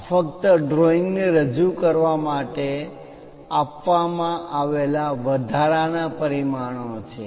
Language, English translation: Gujarati, These are the extra dimensions given just to represent the drawing